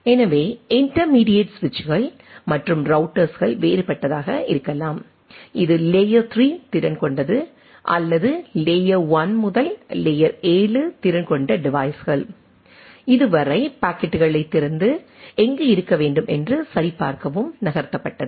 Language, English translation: Tamil, So, we can have intermediate switches and routers of different this is layer 3 capable or layer 1 to layer 7 capable devices which open up the packets up to this and check that where things to be which to be moved